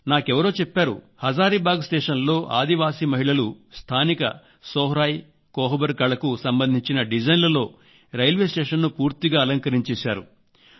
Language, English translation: Telugu, Someone told me that the tribal women have decrorated the Hazaribagh station with the local Sohrai and Kohbar Art design